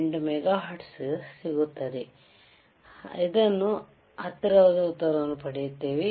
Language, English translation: Kannada, 128 mega hertz, will get answer close to 1